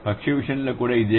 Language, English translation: Telugu, Similar is the case with bird